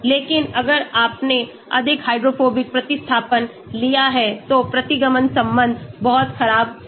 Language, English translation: Hindi, But if you have taken more hydrophobic substituents then the regression relation could be very poor